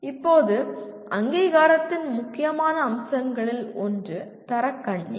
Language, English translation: Tamil, Now, one of the important features of accreditation is the Quality Loop